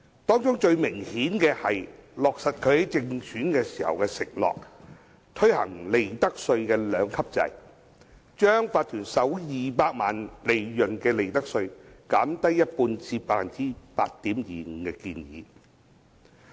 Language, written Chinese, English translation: Cantonese, 當中最明顯的是落實她在競選時的承諾，推行利得稅兩級制，把企業首200萬元利潤的利得稅減低一半至 8.25% 的建議。, The most obvious is the introduction of a two - tier profits tax system as promised during her election campaign by lowering the profits tax rate for the first 2 million of profits of enterprises to 8.25 %